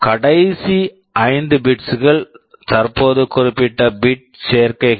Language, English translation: Tamil, The last 5 bits, now the specific bit combinations are shown here